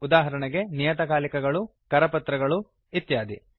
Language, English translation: Kannada, For example a periodical, a pamphlet and many more